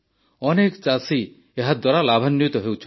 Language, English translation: Odia, So many farmers are benefiting from this